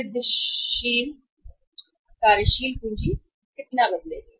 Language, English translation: Hindi, Incremental net working capital how much it will change